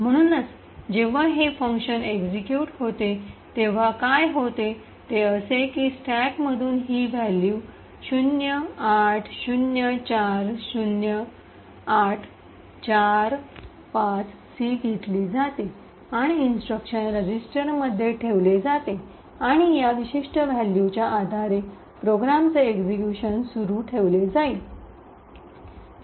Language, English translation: Marathi, So, essentially what would happen when this function completes execution is that this value 0804845C gets taken from the stack and placed into the instruction pointer and execution of the program will continue based on this particular value